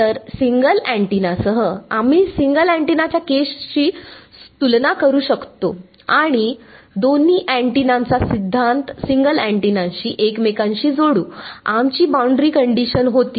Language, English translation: Marathi, So, with a single antenna, we will keep comparing with the single antenna case and the build the theory of two antennas to each other with the single antennas our boundary condition was E z i A